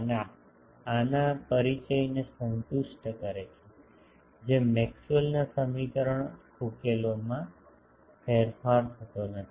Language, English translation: Gujarati, and this satisfies the introduction of these does not change the Maxwell’s equation solutions